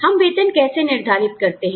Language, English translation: Hindi, How do you decide salaries